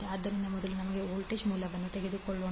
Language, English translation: Kannada, So lets us first take the voltage source